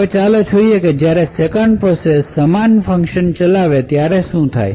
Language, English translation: Gujarati, Now let us see what would happen when the 2nd process executes the exact same function